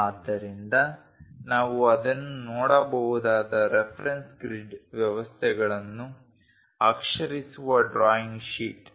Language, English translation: Kannada, So, the drawing sheet with lettering the reference grid systems which we can see it